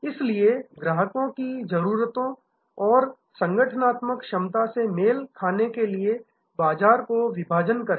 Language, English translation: Hindi, So, segment the market to match the customer needs and organizational capability